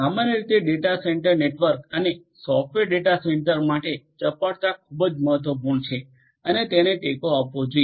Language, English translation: Gujarati, In general data centre network in general and for software data centre as well agility is very important and should be supported